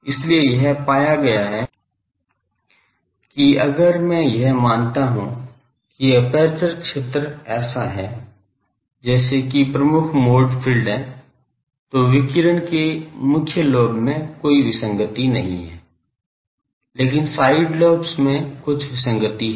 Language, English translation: Hindi, So, it has been found that this assumption if I made, that the aperture field is as if the same as the dominant mode field, then in the main lobe of the radiation there is no discrepancy, but in the side lobes, there are some discrepancy ok